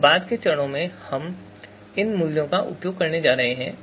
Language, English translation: Hindi, Now subsequent steps we are going to use is they are going to use these values